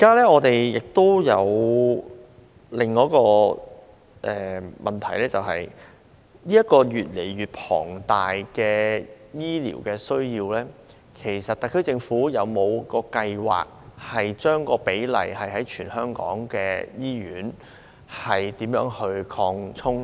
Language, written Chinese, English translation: Cantonese, 我們現時有另一問題，就是面對越來越龐大的醫療需要，特區政府是否有計劃提高全港醫院的比例？, Another problem we have now is whether the SAR Government has any plans to increase the proportion of hospitals in Hong Kong in the face of increasing medical needs